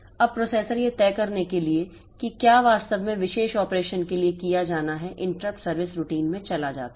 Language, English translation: Hindi, Now the processor goes into the interrupt service routine to decide what exactly has to be done for the particular operation